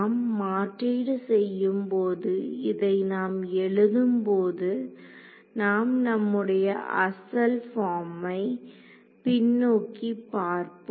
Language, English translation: Tamil, So, when we substitute this we can write this as let us look back at our original form over here